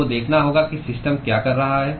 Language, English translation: Hindi, You have to see what the system is doing